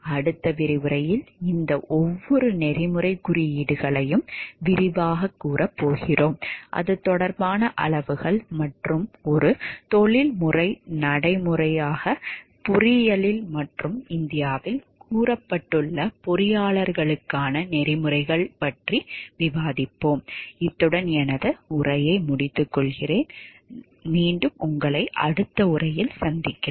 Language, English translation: Tamil, In the next lecture we are going to elaborate on each of these codes of ethics, we will discuss scales to related to that and the engineering as a professional practice and, also we will discuss the code of ethics for engineers as stated in India